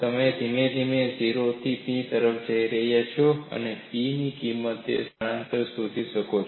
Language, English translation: Gujarati, You could go from 0 to P gradually, and you can record the value of P as well as the displacement